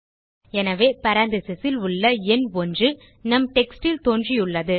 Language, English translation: Tamil, So the number one in parentheses has appeared next to our text